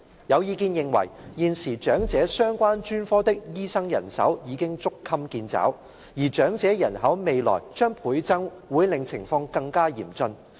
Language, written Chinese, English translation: Cantonese, 有意見認為，現時長者相關專科的醫生人手已捉襟見肘，而長者人口未來將倍增會令情況更加嚴峻。, There are views that the existing manpower of medical practitioners in the elderly - related specialties has already been stretched to the limit and the elderly population doubling in future will aggravate the situation